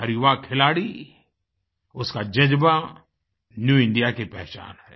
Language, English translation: Hindi, Every young sportsperson's passion & dedication is the hallmark of New India